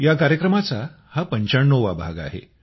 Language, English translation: Marathi, This programmme is the 95th episode